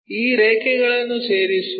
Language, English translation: Kannada, Join these lines